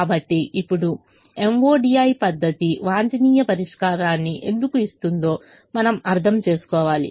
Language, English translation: Telugu, so now we have to understand why the m o d i method gives the optimum solution